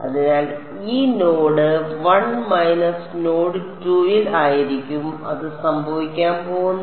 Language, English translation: Malayalam, So, this is going to be at node 1 minus node 2 that is what it is going to be